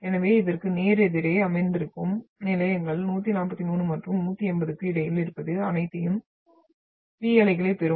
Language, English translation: Tamil, So stations which are sitting just opposite to this, what we have been talking between 143 and 180 will all receive your P waves